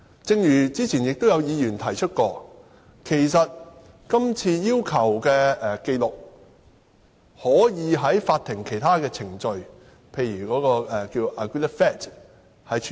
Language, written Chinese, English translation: Cantonese, 正如早前有議員指出，今次要求的紀錄，其實可以按法庭其他程序，例如以 "agreed facts" 的形式處理。, As pointed out by Members earlier the records requested this time can actually be handled under other court proceedings such as agreed facts